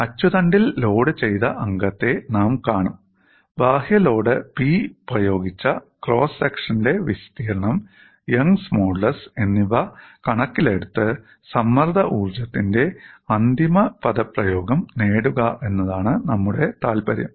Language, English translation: Malayalam, And we will see for a axially loaded member, our interest is to get the final expression for strain energy in terms of the external load applied P, the area of cross section and young's modulus, this is what we are looking at